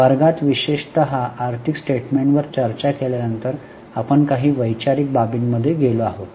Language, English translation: Marathi, In the class particularly after discussing the financial statements, we have gone into some of the conceptual parts